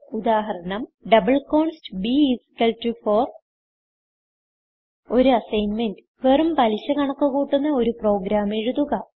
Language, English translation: Malayalam, double const b=4 As an assignment Write a program to calculate the simple interest